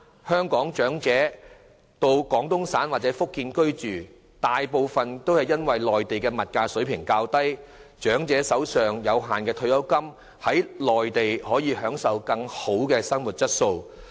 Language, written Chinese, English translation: Cantonese, 香港長者移居廣東省或福建，大部分原因是內地物價水平較低，長者可利用手上有限的退休金在內地享受質素更佳的生活。, Elderly persons of Hong Kong are moving to Guangdong or Fujian mainly for the lower cost of living in the Mainland where they can enjoy better quality of life with their limited pension